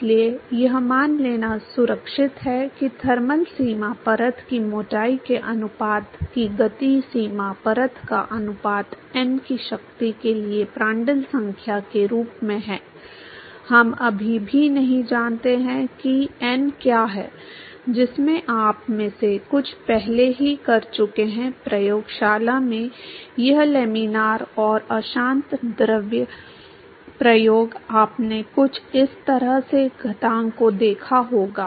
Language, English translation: Hindi, So, it is safe to look assume that the ratio of the momentum boundary layer to the thermal boundary layer thickness scales as Prandtl number to the power of n, we still do not know what are that n is in that some of you have already done this laminar and turbulent fluid experiment in the lab you must have seen some something some exponent like this